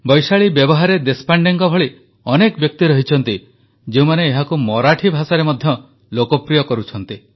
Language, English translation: Odia, People like Vaishali Vyawahare Deshpande are making this form popular in Marathi